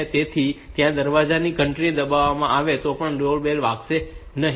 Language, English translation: Gujarati, So, that even if that door bell is pressed the bell will not ring